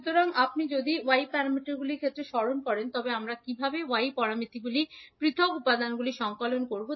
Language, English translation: Bengali, So, if you recollect in case of Y parameters how we compile the individual elements of Y parameters